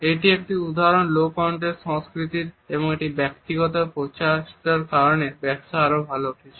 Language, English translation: Bengali, Here is an example of a low context culture, because of a personal effort business is doing better and better